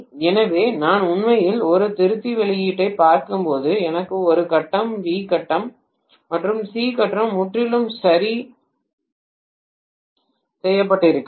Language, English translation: Tamil, So when I am actually looking at a rectifier output I may have A phase, B phase and C phase rectified completely right